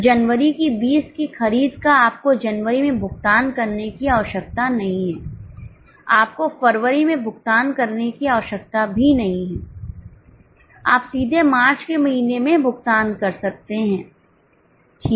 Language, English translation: Hindi, So, January purchase of 20, you don't have to pay in January, you don't even have to pay in February, you can directly pay it in the month of March